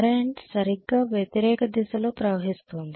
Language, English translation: Telugu, The current is exactly flowing in the opposite direction